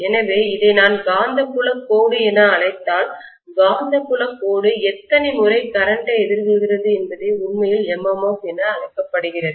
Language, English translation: Tamil, So if I call this as the magnetic field line, how many times the magnetic field line is encountering the current that is actually known as the MMF